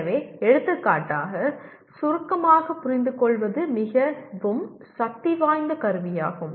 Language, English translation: Tamil, So, for example summarizing is a very powerful tool to understand